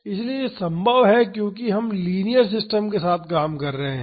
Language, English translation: Hindi, So, this is possible since we are dealing with linear system